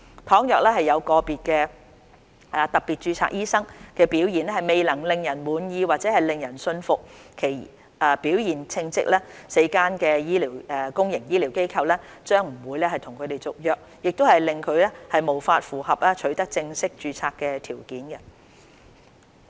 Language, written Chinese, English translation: Cantonese, 倘若有個別特別註冊醫生的表現未能令人滿意或令人信服其表現稱職 ，4 間公營醫療機構將不會跟他們續約，令其無法符合取得正式註冊的條件。, For those who have failed to serve satisfactorily or competently the four institutions will not renew their employment contracts as a result of which they will not be eligible for full registration